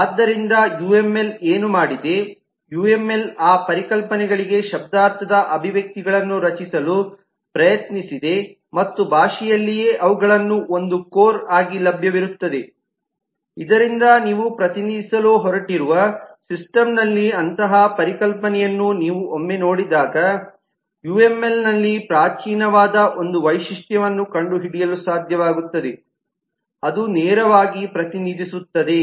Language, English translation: Kannada, so what uml has done, uml has tried to create semantic expressions for those concepts and met them available in the language itself so that very often, once you come across such a concept in the system you are going to represent, you would simply be able to find a primitive, find a feature in the uml which directly represents that